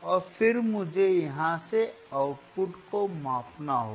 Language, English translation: Hindi, And then I hadve to measure the output you from here